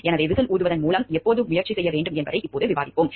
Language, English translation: Tamil, So, what we will discuss now when should with whistle blowing be attempted